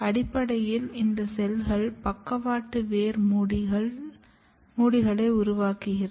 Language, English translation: Tamil, And these cells are basically making lateral root caps